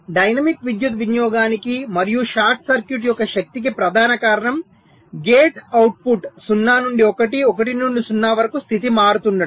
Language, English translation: Telugu, so we have seen that the main reason for dynamic power consumption, and also the short circuits power, is whenever the gate output is switching state zero to one, one to zero